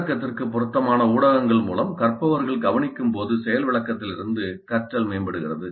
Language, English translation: Tamil, So learning from demonstration is enhanced when learners observe through media that is relevant to the content